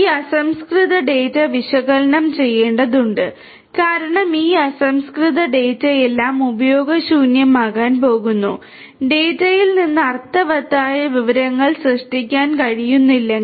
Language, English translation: Malayalam, These raw data are have to be analyzed because these raw data are going to be all useless, if meaningful information cannot be generated out of the data